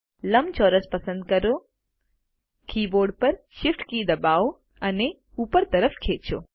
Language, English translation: Gujarati, Select the rectangle, press the Shift key on the keyboard and drag it upward